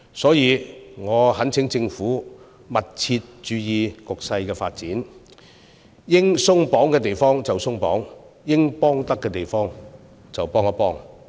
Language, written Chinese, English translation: Cantonese, 所以，我懇請政府密切注意局勢發展，應鬆綁之處就鬆綁，應提供協助之處就提供協助。, Therefore I urge the Government to monitor the situation closely remove restrictions where necessary and render more support where it is due